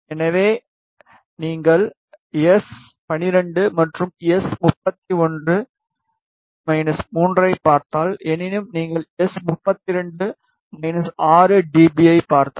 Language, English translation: Tamil, So, if you see S 12 and S 31 this is minus 3 however, if you see minus 3 2 this is minus 6 dB